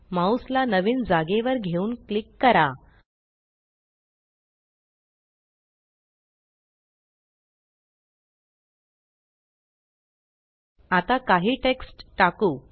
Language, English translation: Marathi, Move the mouse to the new location and click